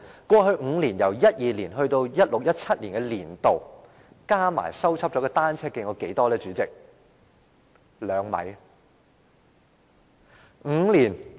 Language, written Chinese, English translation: Cantonese, 過去5年，由2012年至 2016-2017 年年度，已修葺的單車徑合計有多少呢？, In the past five years from 2012 to 2016 - 2017 how many kilometres of cycle tracks were repaired?